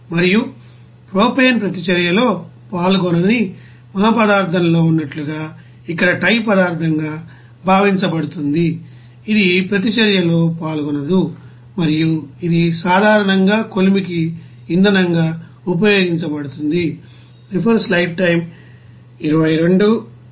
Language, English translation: Telugu, And the propane whatever is assumed as a tie substance here as a you know in our material which is not taking part in the reaction does not participate in the reaction and it is generally being used as a fuel for the furnace